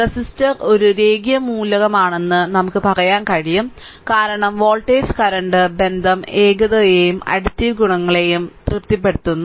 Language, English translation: Malayalam, So, therefore, we can say that the resistor is a linear element, because if voltage current relationship satisfied both homogeneity and additivity properties right